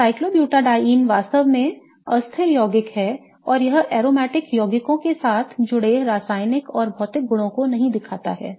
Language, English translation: Hindi, Now, what makes cyclobutadine this really, really unstable compound and it does not show the chemical and physical properties we associated with the aromatic compounds